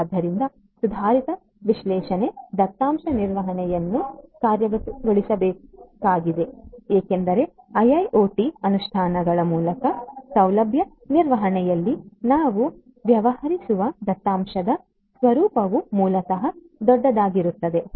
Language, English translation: Kannada, So, advanced analytics big data management needs to be implemented because actually the nature of the data that we deal in facility management through the IIoT implementations are basically the big data